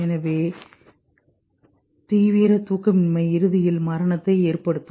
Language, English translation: Tamil, So extreme sleep deprivation will eventually cause death